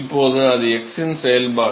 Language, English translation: Tamil, Now, that is the function of x the lower right